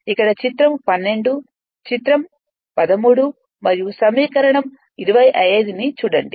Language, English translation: Telugu, Here I have written see figure 12, figure 13and equation 25